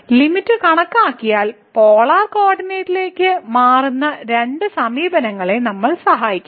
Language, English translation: Malayalam, So, computing the limit then what we have seen two approaches the one was changing to the polar coordinate would be helpful